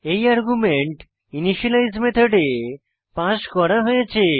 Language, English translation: Bengali, This argument gets passed on to the initialize method